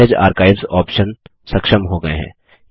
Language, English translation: Hindi, The Message Archives options are enabled